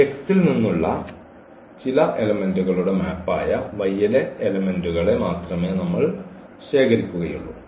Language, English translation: Malayalam, So, we will collect all only those elements of y which are the map of some elements from this X ok